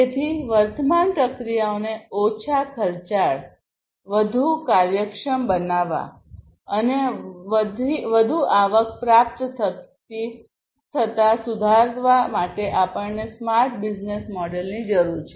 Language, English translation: Gujarati, So, we need the smart business model in order to make the current processes less costly, more efficient, and to improve upon the receiving of increased revenue